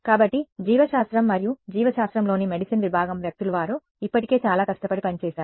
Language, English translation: Telugu, So, biology and medicine people in biology and medicine they have already done the hard work